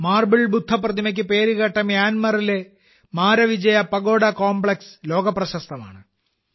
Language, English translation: Malayalam, Myanmar’s Maravijaya Pagoda Complex, famous for its Marble Buddha Statue, is world famous